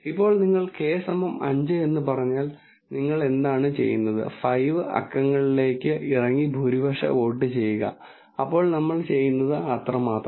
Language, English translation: Malayalam, Now if you said k is equal to 5 then what you do is, you go down to 5 numbers and then do the majority vote, so that is all we do